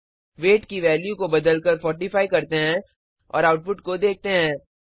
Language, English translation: Hindi, Let us change the value of weight to 45 and see the output